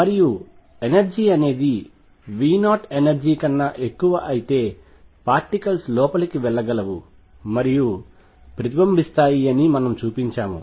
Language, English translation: Telugu, And we also showed that for energy is greater than V 0 energy is greater than V 0 particles can go through and also still reflect